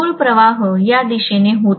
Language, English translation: Marathi, The original flux was in this direction